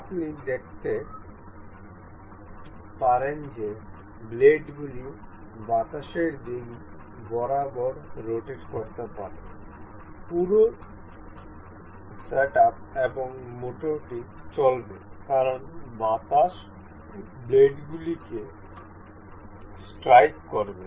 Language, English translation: Bengali, You can see the blades can rotate along the wind direction, the whole the setup and also the motor motor may run as the wind will strike the blades